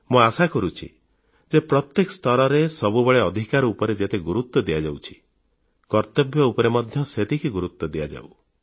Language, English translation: Odia, I hope that the amount of emphasis that is given to the rights at every level during most of the time, is also given to discussing duties of citizens in an emphatic manner